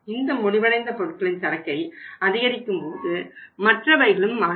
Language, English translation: Tamil, If we are increasing the finished goods inventory others will also change